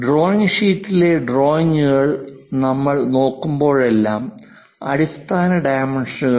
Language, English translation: Malayalam, Whenever we are looking at the drawings drawing sheets, if something like the basic dimensions represented